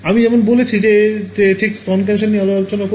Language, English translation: Bengali, So, as I have said we will talk more about breast cancer right